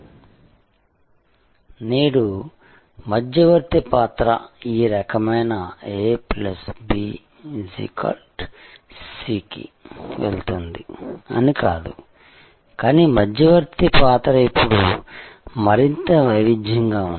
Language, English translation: Telugu, But, today the role of the intermediary is not this kind of a plus b, going to c, but the role of the intermediary is now more varied